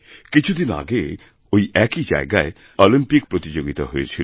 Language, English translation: Bengali, Olympic Games were held at the same venue only a few days ago